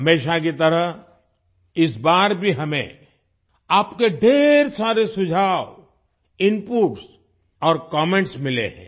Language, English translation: Hindi, As always, this time too we have received a lot of your suggestions, inputs and comments